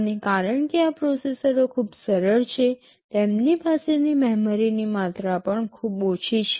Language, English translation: Gujarati, And because these processors are very simple, the amount of memory they have is also pretty small